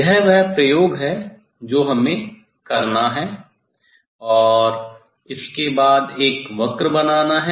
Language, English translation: Hindi, this is the experiment we have to do and then draw a curve of that